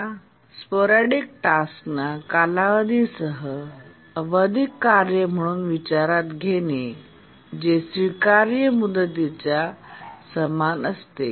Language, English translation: Marathi, And then we consider it to be a periodic task with the period is equal to the deadline that is acceptable